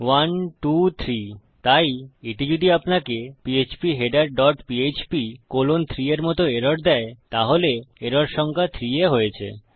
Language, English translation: Bengali, 1, 2, 3 so if it gives you an error like phpheader dot php colon 3, then the error has occurred on the line no